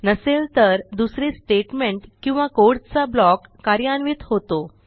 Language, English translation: Marathi, Else it executes another statement or block of code